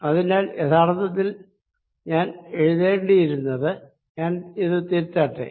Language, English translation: Malayalam, so actually i should be writing: let me just cut this and correct